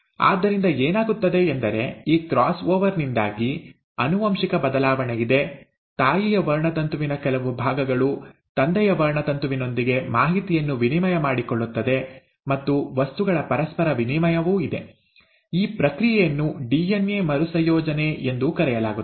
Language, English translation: Kannada, So what happens is because of this cross over, there is a genetic shuffling of some part of the mother’s chromosome will exchange information with the father’s chromosome, and there is an interchange of material; this process is also called as DNA recombination